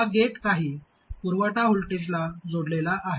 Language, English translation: Marathi, This gets connected to the supply, some voltage